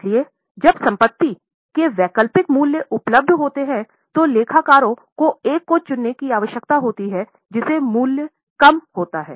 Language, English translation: Hindi, So, when the alternative values of assets are available, accountants need to choose the one which leads to lesser value